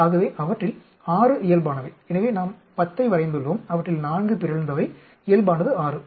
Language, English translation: Tamil, So, 6 of them are normal, so we have drawn 10, 4 of them are mutant, normal is 6